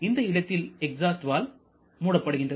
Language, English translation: Tamil, So, this is where the exhaust valve closes